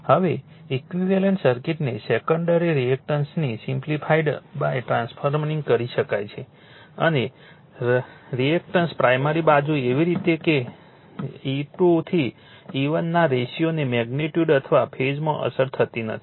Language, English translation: Gujarati, Now, the equivalent circuit can be simplified by transferring the secondary resistance and reactance is to the primary side in such a way that the ratio of of E 2 to E 1 is not affected to magnitude or phase